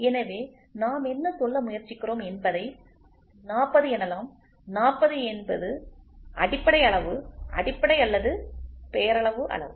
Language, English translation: Tamil, So, what are we trying to say 40, 40 is the basic size basic or the nominal size